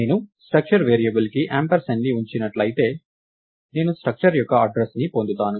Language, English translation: Telugu, If I put ampersand of a structure variable, I would get the address of the structure itself